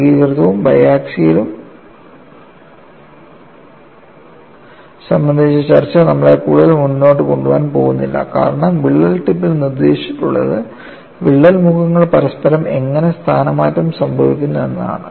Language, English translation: Malayalam, The discussion of uniaxial and biaxial is not going to take as any further; because, what is dictated at the crack tip is how the crack phases are displaced relative to each other